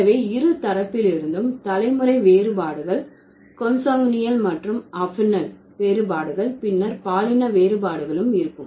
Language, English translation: Tamil, So, from both the sides you will have generational differences, consangunial versus effenal relatives differences, then the gender differences